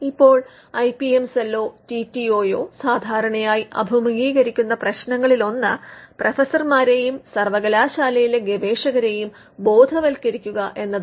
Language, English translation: Malayalam, Now, one of the issues with which the IPM cell or the TTO normally face faces is in educating the professors and the researchers in the university set up